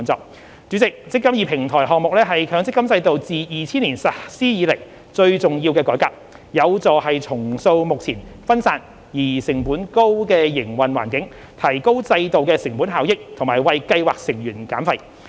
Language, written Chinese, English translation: Cantonese, 代理主席，"積金易"平台項目是強積金制度自2000年實施以來最重要的改革，有助重塑目前分散而成本高的營運環境，提高制度的成本效益和為計劃成員減費。, Deputy President the eMPF Platform Project is the most important reform of the MPF System since its implementation in 2000 . It will help reshape the currently decentralized and high - cost operating landscape enhance the cost - effectiveness of the system and reduce the fees for scheme members